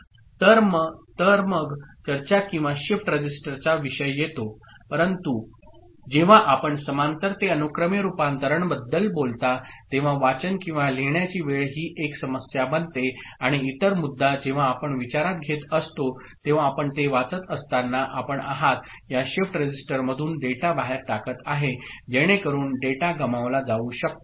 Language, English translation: Marathi, So, then comes the discussion or the topic of shift register ok, but then when you talk about conversion from parallel to serial, time to read or write becomes an issue and the other issue that comes into consideration is when you are you know, reading it, you are pushing the data out of this you know shift register, so the data may be lost